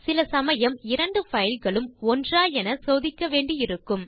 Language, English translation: Tamil, Sometimes we need to check whether two files are same